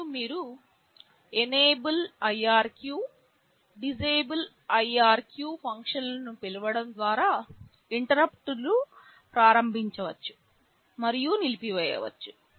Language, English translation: Telugu, And, you can enable and disable the interrupts by calling the functions enable irq, disable irq